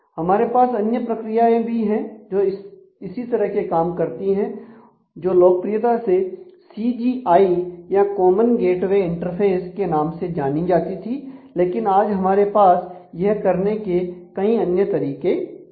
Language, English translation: Hindi, There is there has been another other mechanisms of doing similar things also which was particularly popularly are called the common gateway interface or CGI, but now we have various other ways of doing the same thing